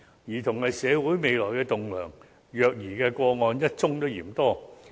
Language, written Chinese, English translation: Cantonese, 兒童是社會未來的棟樑，虐兒個案一宗也嫌多。, Children are the future pillars of society . Even one child abuse case is too many